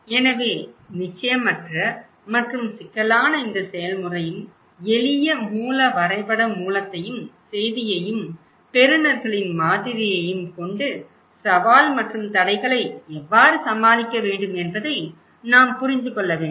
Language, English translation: Tamil, And so, uncertain and complex process this one so, that we need to understand this simple source map source and message and receivers model how what are the challenge and barriers are there